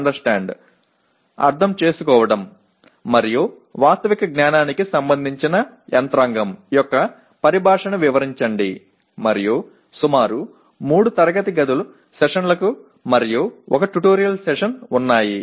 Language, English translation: Telugu, Illustrate the terminology of mechanism that is related to Understand and Factual Knowledge and there are about 3 classroom sessions and 1 tutorial session